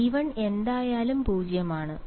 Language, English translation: Malayalam, So, A so B 1 is anyway 0